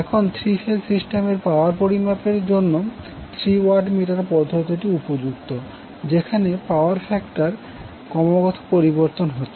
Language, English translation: Bengali, Now these three watt meter method is well suited for power measurement in a three phase system where power factor is constantly changing